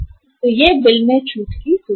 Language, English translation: Hindi, So this is the bill discounting facility